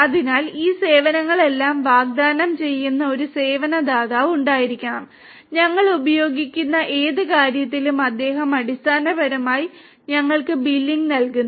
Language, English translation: Malayalam, So, there has to be service provider who is offering all these services and he is basically billing us for whatever we are using